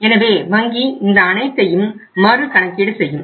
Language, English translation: Tamil, So bank will then recalculate the whole thing